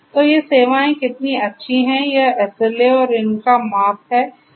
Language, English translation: Hindi, So, how good these services are this is what this SLA and the measurement of these which is important